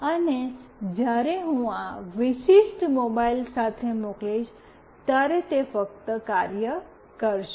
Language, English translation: Gujarati, And when I send with this particular mobile, it will only work